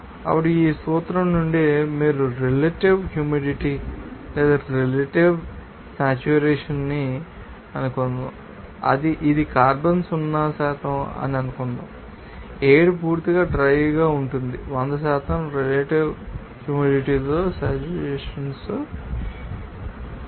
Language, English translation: Telugu, Now, from this, you know, principle you can say that suppose relative humidity or relative saturation, it is a carbon zero percent that means, the air will be totally dry, harassed 100% relative humidity means that it will be saturated with moisture